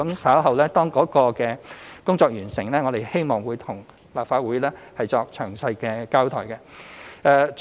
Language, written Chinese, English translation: Cantonese, 稍後當工作完成後，我們希望向立法會作詳細交代。, When our work is done we will give a detailed account to the Legislative Council